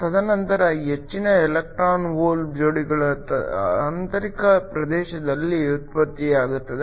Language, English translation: Kannada, And then most of the electron hole pairs are generated in the intrinsic region